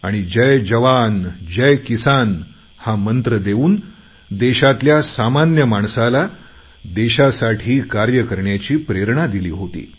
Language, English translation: Marathi, He gave the mantra"Jai Jawan, Jai Kisan" which inspired the common people of the country to work for the nation